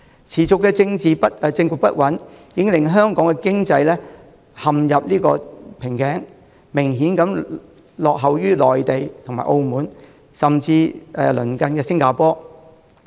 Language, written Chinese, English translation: Cantonese, 持續的政局不穩，已令香港的經濟增長陷入瓶頸，明顯落後於內地及澳門，甚至鄰近的新加坡。, With ongoing political instability Hong Kongs economy has been caught in a bottleneck lagging remarkably behind the economies of the Mainland and Macao and even that of our neighbouring Singapore